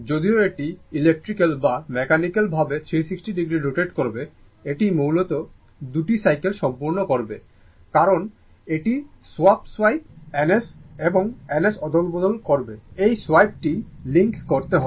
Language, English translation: Bengali, Although, it will rotate electrically or mechanically 360 degree, but it will basically complete 2 cycle because it will swap swipe N S and N S, this swipe has to link